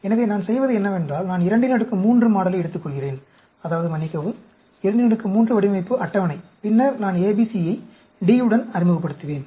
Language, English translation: Tamil, So, what I do is, I take the 2 power 3 model, I mean, sorry, 2 power 3 design table, and then, I will introduce ABC with D